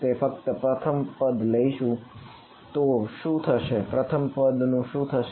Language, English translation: Gujarati, So, what happens of we will just take the first term, what happens of the first term